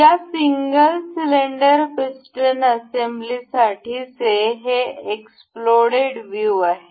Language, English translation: Marathi, So, this completes the explode view for this single cylinder piston assembly